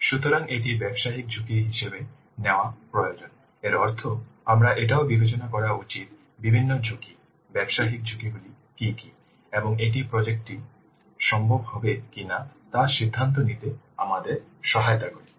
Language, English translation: Bengali, That means we also should consider taking into account what are the various risks, business risks associated with and that will help us in deciding whether the project will be feasible or not